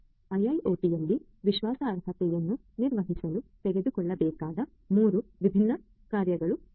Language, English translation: Kannada, These are the three different measures that will have to be taken in order to manage trustworthiness in IIoT